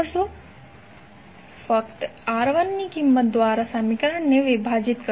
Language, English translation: Gujarati, You will simply divide the equation by the value of R1